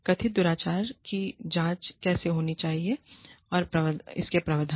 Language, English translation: Hindi, Provisions for, how the alleged misconduct, should be investigated